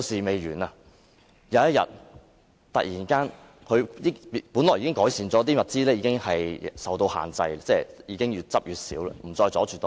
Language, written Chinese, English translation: Cantonese, 本來情況已經有所改善，收集的物品已經受到控制，越來越少，不再阻塞道路。, At first the situation was improved and the items being collected were under control . Less and less scraps were piled up and no roads were obstructed anymore